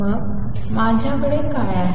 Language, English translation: Marathi, Then what do I have